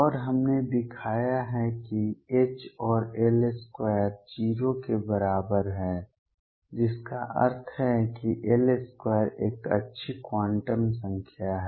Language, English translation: Hindi, And we have shown that H and L square is equal to 0 which implies that L square is a good quantum number